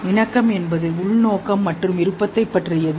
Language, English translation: Tamil, Conition is about intentionality and will